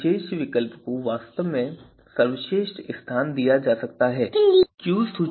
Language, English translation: Hindi, So, only then best alternatives should be you know accepted as the you know best in the list